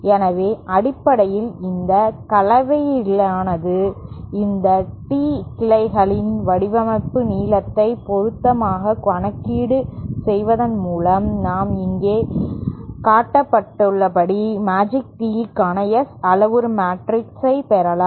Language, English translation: Tamil, So, basically by a combination of this and by suitably arranging the suitably calculate designing length of these tee branches, we can obtain the S parameter matrix for the Magic Tee as shown here